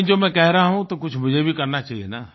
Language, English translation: Hindi, But if I am saying then I should at least do something